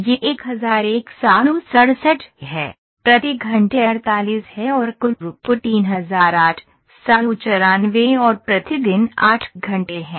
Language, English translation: Hindi, it throughput what it is 1167 per hour is 48 and total throughput is 3894 and 8 hour day for 8 hours ok